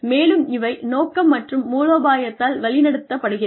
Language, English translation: Tamil, And, are guided by the vision and strategy